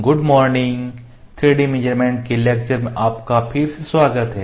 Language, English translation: Hindi, Good morning, welcome back to the lecture on 3D measurements